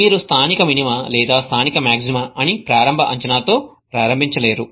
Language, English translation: Telugu, You cannot start with an initial guess that is a local minima or a local maxima